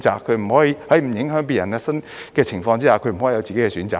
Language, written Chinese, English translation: Cantonese, 在不影響別人的情況之下，他不可以有自己的選擇嗎？, Can they not make their own choice on the premise that they would not affect the others?